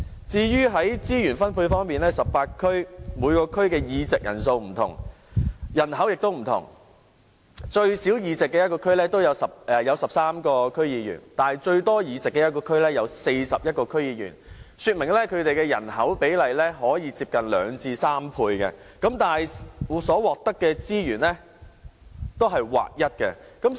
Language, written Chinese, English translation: Cantonese, 至於資源分配方面 ，18 區各區的議席人數不同，人口也不同，最少議席的地區有13名區議員，但最多議席的地區有41名區議員，說明人口比例可以相差近2倍至3倍，但所獲得的資源也是劃一的。, As regards resource allocation despite the differences in the number of seats and population size among the 18 DCs with 13 members in the smallest DC and 41 members in the biggest indicating that population sizes of various DCs can differ by nearly two to three times yet each DC is given the same amount of funding